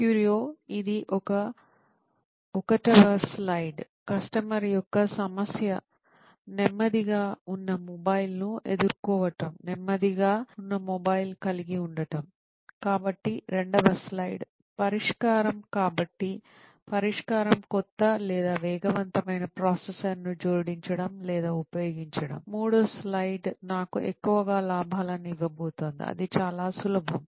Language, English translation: Telugu, This is slide one: the customer’s problem, that is facing a slower mobile, having a slower mobile, so slide two: is the solution, so solution would be to add or to use a new or faster processor, slide three: that is going to give me more profits, well, that was quite simple